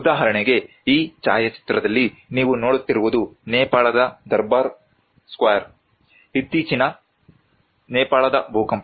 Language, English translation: Kannada, For instance, in this photograph what you are seeing is the Durbar square in the Nepal, the recent Nepal earthquake